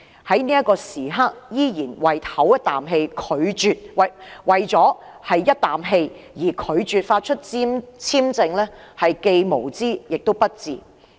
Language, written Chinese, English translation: Cantonese, 如果香港在這刻為了一口氣而拒絕向馬凱續發簽證，便是既無知亦不智的行為。, Hong Kongs refusal to renew Victor MALLETs work visa in a fit of temper is both ignorant and unwise